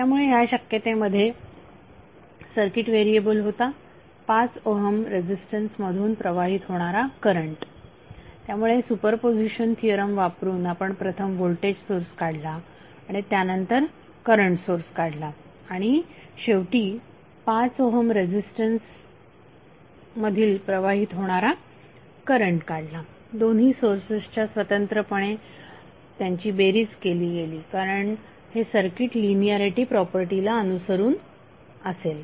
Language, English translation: Marathi, So in this case the circuit variable was current flowing through 5 Ohm resistance, so using super position theorem first you removed the voltage source and then you remove the current source and finally rent flowing through 5 Ohm resistance because of both of this sources independently were summed up because it will follow linearity property